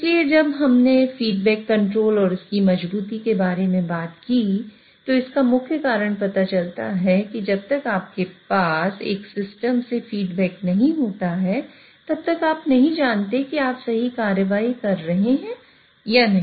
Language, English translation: Hindi, So, when we talked about feedback control and its robustness, the main reason comes from the fact that unless you have a feedback from a system, you don't know whether you are taking a correct action or not